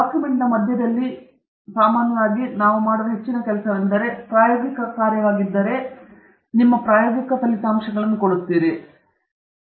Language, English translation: Kannada, The middle of the document, basically, normally much of the work that we do, if it is experimental work, it will consist of